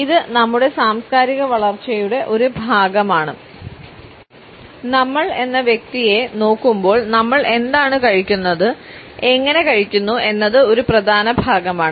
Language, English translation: Malayalam, It is a part of our cultural growing up, what we eat and how we eat is an essential part of who we are as a people